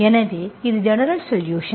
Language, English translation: Tamil, So this is the general solution